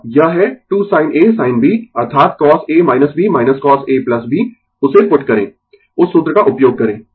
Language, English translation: Hindi, And it is 2 sin A sin B that is cos A minus B minus cos A plus B put that use that formula